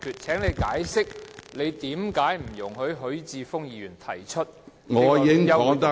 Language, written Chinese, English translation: Cantonese, 請你解釋，為何不准許許智峯議員提出休會辯論......, Will you please explain why Mr HUI Chi - fung is not allowed to move a motion for adjournment